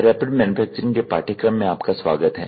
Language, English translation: Hindi, Welcome, to the course on Rapid Manufacturing